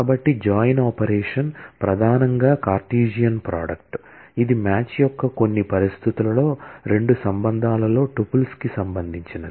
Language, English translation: Telugu, So, a join operation, is primarily a Cartesian product, which relates tuples in two relations under certain conditions of match